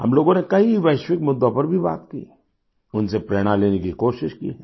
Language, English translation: Hindi, We also spoke on many global matters; we've tried to derive inspiration from them